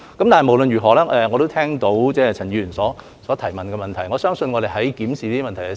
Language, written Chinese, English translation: Cantonese, 但是，無論如何，我也聽到陳議員所提出的補充質詢。, Anyway I have heard the supplementary question raised by Mr CHAN